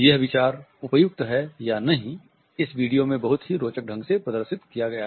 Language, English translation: Hindi, The idea whether it touches appropriate or not is very interestingly displayed in this video